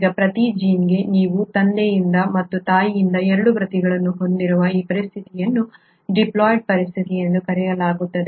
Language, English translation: Kannada, Now, this situation where, for every gene, you have 2 copies one from father and one from mother is called as a diploid situation